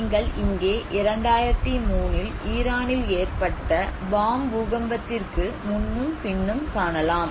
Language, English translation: Tamil, Similarly in 2003, Bam earthquake in Iran what you can see here is, before and after the earthquake